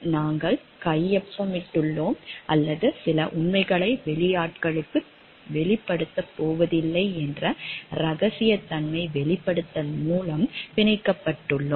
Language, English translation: Tamil, We have signed or we are bonded by a confidentiality disclosure like we are not going to disclose certain facts to outsiders